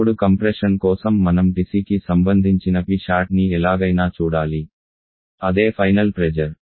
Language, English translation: Telugu, Now to compression we have to some of these that P sat corresponding to TC the same final pressure